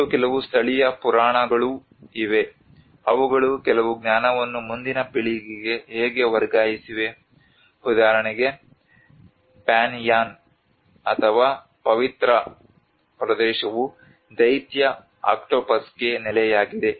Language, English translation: Kannada, And there is also certain indigenous myths how they have also transferred some knowledge to the next generations that for example the Panyaan or the sacred area is a home to the giant octopus